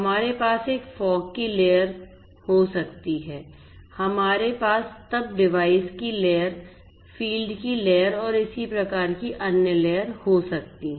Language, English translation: Hindi, We have we may have a fog layer we may then have at the very bottom the devices layer the field layer and so on so, all of these different layers are possible